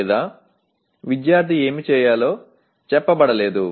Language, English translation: Telugu, Or it is not stated as what the student is supposed to do